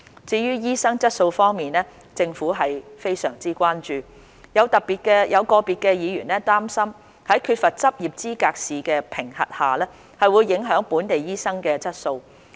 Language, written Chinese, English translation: Cantonese, 至於醫生的質素方面，政府是非常關注，有個別議員擔心在缺乏執業資格試的評核下，會影響本地醫生的質素。, The Government is very concerned about the quality of doctors . Some Members are worried that the quality of local doctors will be compromised in the absence of Licensing Examination